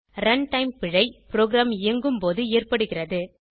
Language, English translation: Tamil, Run time error occurs during the execution of a program